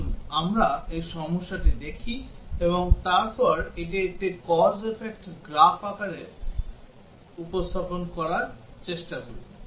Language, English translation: Bengali, Let us look at this problem and then try to represent it in the form of a cause effect graph